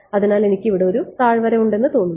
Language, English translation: Malayalam, So, its like I have one valley over here right